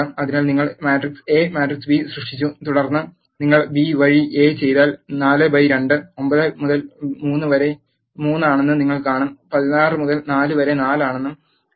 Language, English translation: Malayalam, So, you have created matrix A matrix B and then if you do A by B you will see that 4 by 2 is 2 9 by 3 is 3, 16 by 4 is 4